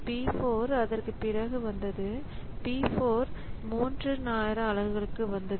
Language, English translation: Tamil, So, p4 came after that and p4 for three time unit